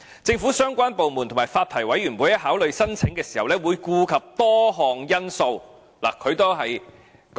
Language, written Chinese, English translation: Cantonese, 政府相關部門和發牌委員會在考慮申請時會顧及多項因素。, The relevant government departments and the Licensing Board would take into account a number of factors in considering the applications